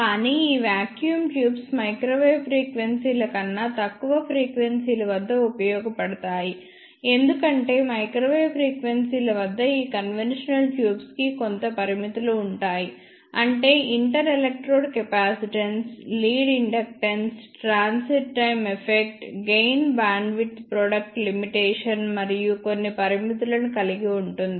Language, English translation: Telugu, But these vacuum tubes are useful below microwave frequencies only, because at microwave frequencies these conventional tubes will have some limitations such as ah inter electrode capacitance, lead inductance, transit time effect, gain bandwidth product limitation and so on